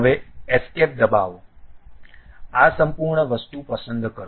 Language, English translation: Gujarati, Now, press escape select this entire thing